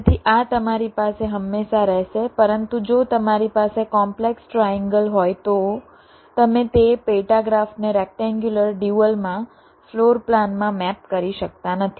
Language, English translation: Gujarati, but if you have a complex triangle there, you cannot map that sub graph into a rectangular dual, into a floor plan